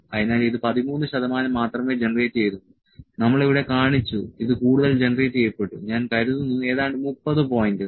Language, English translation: Malayalam, So, it has generated only 13 percent we shown here that is generated more than may be I think 30 points